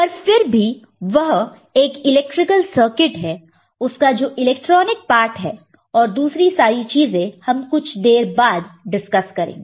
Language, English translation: Hindi, But still it is an electrical circuit the electronic part and other things that we shall discuss little later